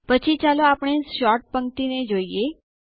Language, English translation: Gujarati, Next, let us look at the Sort row